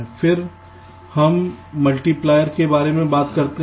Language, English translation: Hindi, then we talk about a multiplier